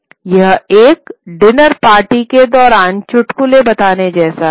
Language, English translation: Hindi, It's like telling jokes during a dinner party